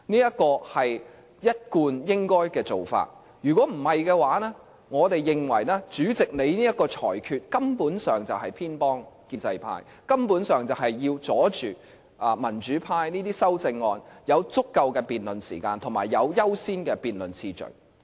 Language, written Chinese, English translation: Cantonese, 這是一貫做法，否則，我們認為主席這個裁決，根本上是偏幫建制派，根本上是要阻擋民主派的修正案有足夠辯論時間及有優先的辯論次序。, We thus think that in upsetting this usual practice the Presidents ruling is favouring the pro - establishment camp . The ruling basically seeks to deny the democratic camp of an adequate debate time and the higher order of priority for its amendments